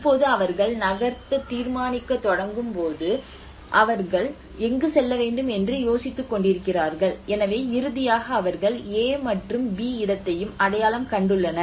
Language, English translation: Tamil, Now when they start deciding to move, where to move, so finally they have identified another place A and place B